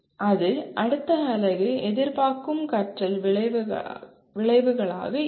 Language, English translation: Tamil, That will be the expected learning outcomes of the next unit